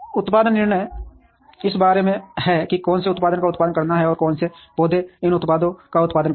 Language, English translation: Hindi, Production decisions are about which product to produce and which plants will produce these products